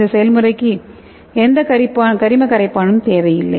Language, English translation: Tamil, And this process does not require any organic solvent